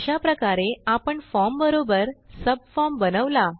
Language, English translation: Marathi, So there is our form with a subform